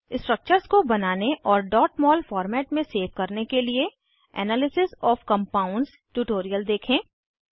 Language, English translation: Hindi, To draw structures and save in .mol format, refer to Analysis of Compounds tutorial